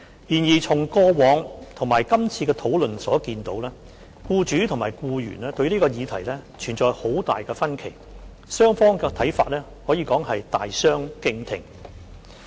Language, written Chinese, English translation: Cantonese, 然而，從過往及今次的討論所見，僱主及僱員對這項議題存在很大分歧，雙方的看法可以說是大相逕庭。, However from previous debates and this debate we can see the differences between employees and employers in respect of this issue . It can be said that the views held by the two sides are poles apart